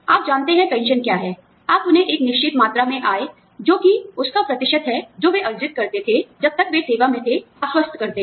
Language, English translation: Hindi, You know, pension is what, you assure them, a certain amount of income, which is the percentage of, what they used to earn, when they were still in service